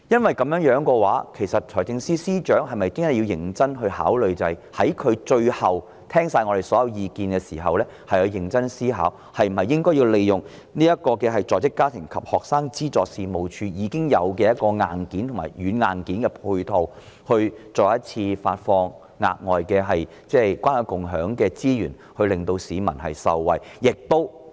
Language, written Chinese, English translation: Cantonese, 有鑒於此，財政司司長是否應在聽取議員的所有意見後，認真思考利用在職家庭及學生資助事務處這個現有的軟硬件配套，再次在關愛共享計劃下發放資源，讓市民受惠？, In view of this after listening to all the views from Members should the Financial Secretary not seriously consider using this existing software and hardware of the Working Family and Student Financial Assistance Agency to release resources again under the Caring and Sharing Scheme to benefit the public?